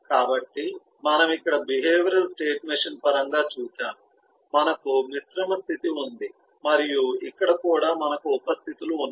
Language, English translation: Telugu, we have seen, in terms of the behavioral the state machine, here too we have composite state and here too we have sub states and so on